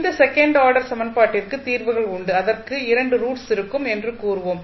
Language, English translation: Tamil, Now, if you see this is second order equation solve you will say there will be 2 roots of this equation